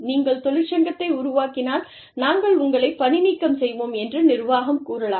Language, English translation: Tamil, The organization may say, okay, if you form a union, we will have you, we will fire you